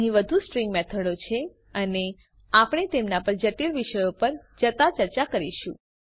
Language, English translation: Gujarati, There are more String methods and Well discuss them as we move on to complex topics